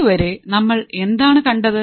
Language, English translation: Malayalam, So, guys, until now what have we seen